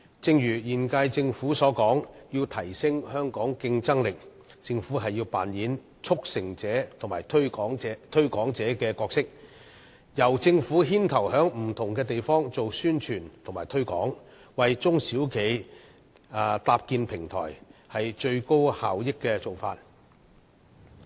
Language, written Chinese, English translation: Cantonese, 正如今屆政府所說，要提升香港競爭力，政府便要扮演促成者和推廣者的角色，由政府牽頭在不同地方進行宣傳推廣，為中小企搭建平台，這是最高效益的做法。, As the current - term Government says to enhance the competitiveness of Hong Kong the Government should play the role of a facilitator and a promoter taking the lead to launch publicity and promotion programmes in establishing a platform for SMEs . This is the most effective approach